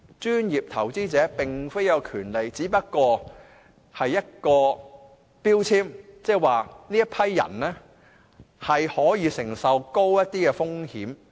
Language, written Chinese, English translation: Cantonese, "專業投資者"並非一項權利，只是一個標籤，即這群人可以承受高一點的風險。, You know being a professional investor does not give a person any exclusive right as such and the status is in a way just an indication that such investors can withstand higher risks